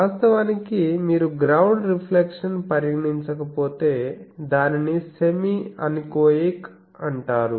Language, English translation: Telugu, Actually if you do not have the ground reflections considered then it is called semi anechoic